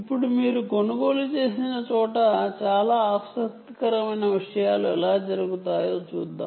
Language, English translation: Telugu, now let us see how very interesting things can actually happen